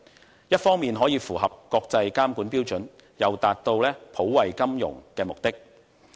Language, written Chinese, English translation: Cantonese, 這一方面可以符合國際監管標準，又達到普惠金融的目的。, In this way it will be possible to meet international regulatory standards on the one hand and to benefit the financial industry on the other